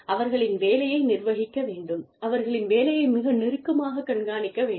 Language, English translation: Tamil, And, their work should be, managed their work should be, monitored, very, very, closely